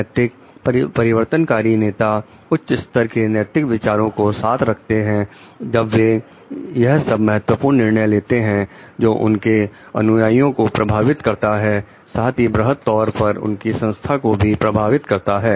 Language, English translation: Hindi, Morality; transformational leaders carry high levels of moral reasoning while taking all the important decisions that may affect the followers as well as the organizations at large